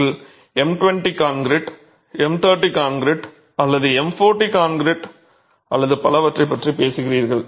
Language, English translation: Tamil, You are familiar with concrete, you talk of m20 concrete, m30 concrete or m40 concrete or so on